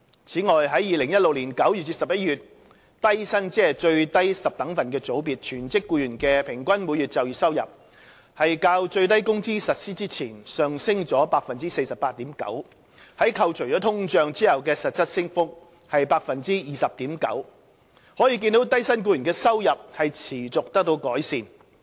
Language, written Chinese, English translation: Cantonese, 此外，在2016年9月至11月，低薪全職僱員的平均每月就業收入較最低工資實施前上升了 48.9%， 扣除通脹後的實質升幅是 20.9%， 可見低薪僱員的收入持續得到改善。, Besides in September to November 2016 the average monthly employment earnings of low - come full - time employees in the lowest decile group registered an increase of 48.9 % over the pre - SMW level . This shows that there has been a continuous improvement in the earnings of low - income employees